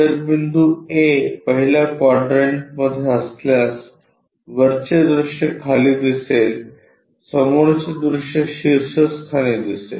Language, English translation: Marathi, If the point is A in the first quadrant is top view will be at bottom is front view on the top